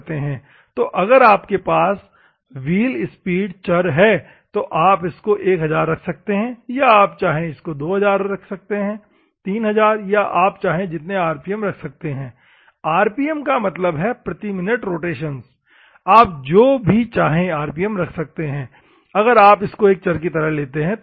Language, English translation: Hindi, So, if you have a variable, you can vary whether you want 1000 or whether you want 1000 rpm, 2000 rpm, 3000 rpm or something when an rpm means Rotations Per Minute, whatever the rpm that you want you can use if it is a variable